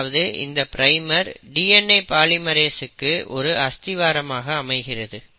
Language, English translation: Tamil, So basically this is a requirement of a DNA polymerase